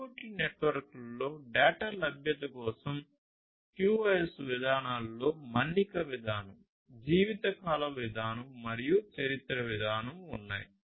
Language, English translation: Telugu, QoS policies for data availability in IoT networks include durability policy, life span policy and history policy